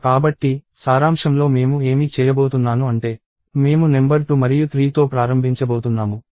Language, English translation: Telugu, So, in summary what I am going to do is I am going to start with number 2 and 3